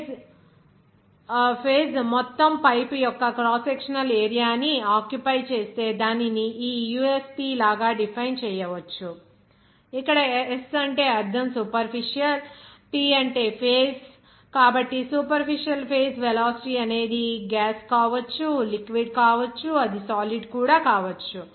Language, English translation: Telugu, If the phase occupied the whole pipe cross sectional area which can be defined by here like this usp, s means here superficial, p for phase, so superficial phase velocity, it may be gas, it may be liquid, it may be solid also